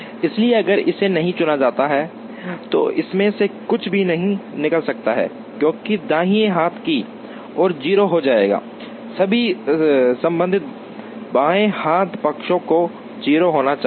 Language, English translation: Hindi, So, if this is not chosen then nothing can out of it, because the right hand side will becomes 0, all the corresponding left hand sides will have to be 0